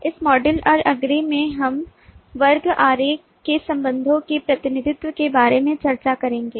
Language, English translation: Hindi, in this module and the next we will discuss about the representation relationships in class diagram